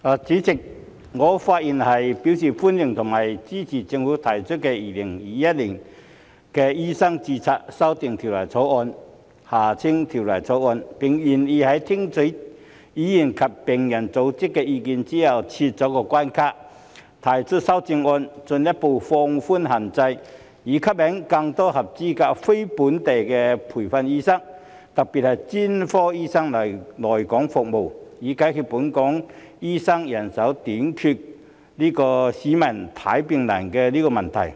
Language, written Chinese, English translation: Cantonese, 主席，我發言表示歡迎並支持政府提交的《2021年醫生註冊條例草案》，並願意在聽取議員和病人組織的意見後撤關卡、提出修正案，進一步放寬限制，以吸引更多合資格非本地培訓醫生，特別是專科醫生來港服務，以解決本港醫生人手短缺，市民看病難的問題。, President I am speaking to welcome and support the Medical Registration Amendment Bill 2021 the Bill introduced by the Government . After listening to the opinions of Members and patient organizations the Government is willing to remove the barriers and propose amendments to further relax restrictions to attract more qualified non - locally trained medical practitioners NLTDs especially specialist doctors to come and serve in Hong Kong so as to solve the manpower shortage of doctors in Hong Kong and the difficulties encountered by the public in seeking medical consultation